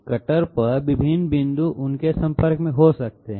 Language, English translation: Hindi, Different points on the cutter might be in contact with that